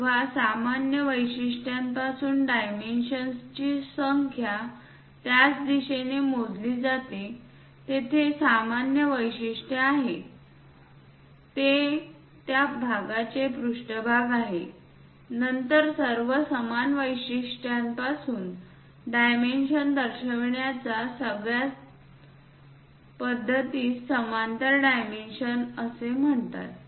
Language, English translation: Marathi, When numbers of dimensions are measured in the same direction from a common feature; here the common feature is this, that is surface of the part then method of indicating all the dimensions from the same feature is called parallel dimensioning